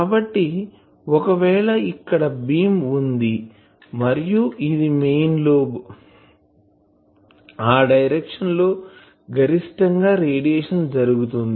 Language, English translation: Telugu, So, if this is a beam and you see that if this is a main lobe , then this is the direction of maximum radiation